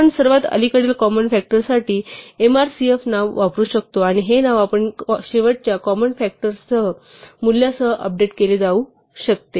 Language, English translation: Marathi, We can use a name say mrcf for the most recent common factor, and keep updating this name with the value of the common factor that we saw last